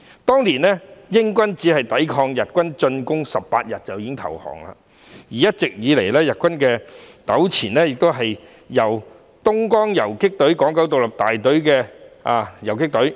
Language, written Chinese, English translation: Cantonese, 當年，英軍抵抗日軍進攻僅18天便已投降，一直以來與日軍糾纏的是東江縱隊港九獨立大隊游擊隊。, Back then the British army surrendered after only 18 days of resistance against the Japanese troops while the Hong Kong Independent Battalion of the Dongjiang Column had fought against the Japanese troops all along